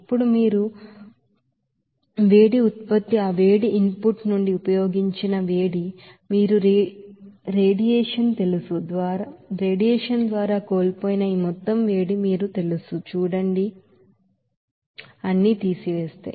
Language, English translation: Telugu, Now, if you subtract these all you know that heat output, heat utilized from that heat input, you will see that this amount of heat will be you know lost by that you know radiation